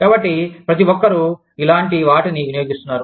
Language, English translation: Telugu, So, everybody is consuming, the similar kind of stuff